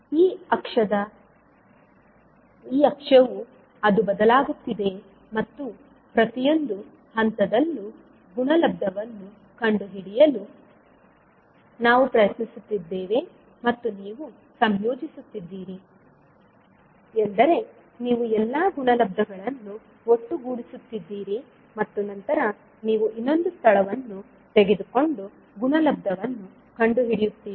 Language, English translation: Kannada, So at this axis it is shifting and we are trying to find out the value of the product at each and every point and ten you are integrating means you are summing up all the products and then you are again you are taking another location and finding out the product